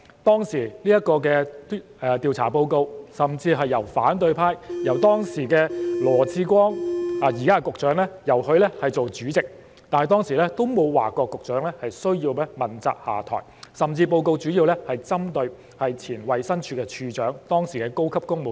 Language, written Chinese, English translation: Cantonese, 當年的調查報告是由當時的反對派羅致光——即現任局長——擔任主席，但當時也沒有要求局長問責下台，報告主要針對的是以前的衞生署署長及當時的高級公務員。, The Select Committee was chaired by Dr LAW Chi - kwong of the opposition camp who is the incumbent Secretary for Labour and Welfare . The inquiry report did not request the then Secretary for Health Welfare and Food to take responsibility and resign; but rather it targeted at the then Director of Health and the senior civil servants of the time